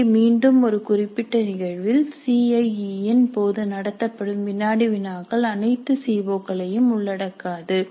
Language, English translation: Tamil, Here again in a specific instance the quizzes that are conducted during the CAE may not cover all the COs